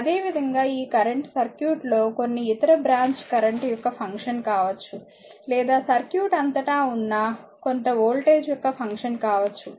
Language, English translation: Telugu, Similarly, this current is may be the function of some other branch current in the circuit or may be function of some voltage across the, your circuit